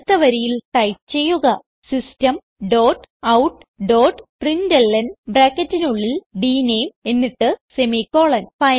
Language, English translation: Malayalam, So next line Type System dot out dot println within brackets dName then semicolon